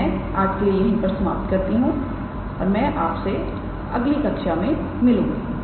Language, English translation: Hindi, So, I will stop here for today and I look forward to you in your next class